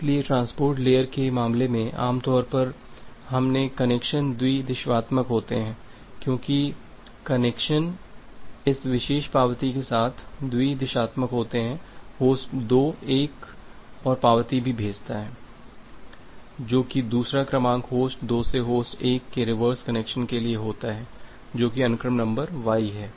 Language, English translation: Hindi, So, in case of transport layer normally our connections are bi directional because the connections are bi directional with this particular acknowledgement, the host 2 also sends another acknowledgement, sends another sequence number it for reverse connection from host 2 to host 1 that is the sequence number y